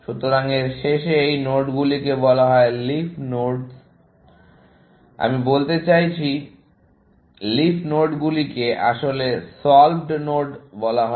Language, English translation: Bengali, So, at the end of this, these nodes are called leaf nodes, I mean, the leaf nodes are actually, called solved nodes